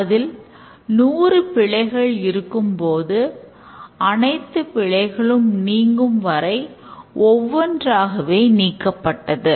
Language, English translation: Tamil, There will be hundreds of errors keep on eliminating one by one until all errors are eliminated